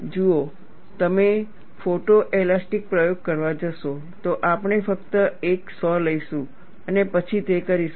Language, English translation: Gujarati, See, if you go to photo elastic experiment, we will simply take a saw cut and then do it